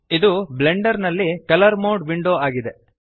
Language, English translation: Kannada, This is the colour mode window in Blender